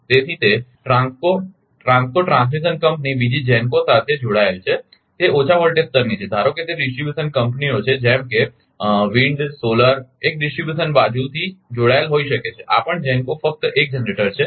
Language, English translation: Gujarati, So, it connected to TRANSCO TRANSCO transmission company another GENCO it is low voltage level, suppose it is distribution companies like we in solar may be connected at a distribution side, this is also GENCO only 1 generator